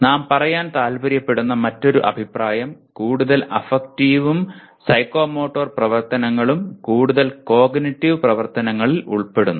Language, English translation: Malayalam, And another comment that we would like to make, higher levels of affective and psychomotor activities involve more and more cognitive activities